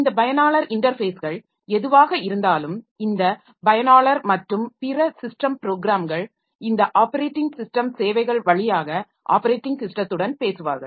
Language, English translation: Tamil, So, whatever it is by means of this user interfaces, so this user and other system programs so they will talk to the operating system, they will talk to the operating system via this operating system services